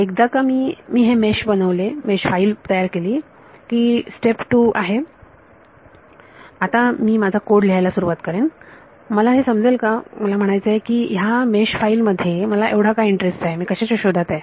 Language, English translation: Marathi, The step 2 is once I have read in this made once have made this mesh file, now I start writing my code will I understand this I mean what is of interest to me in this mesh file what I am looking for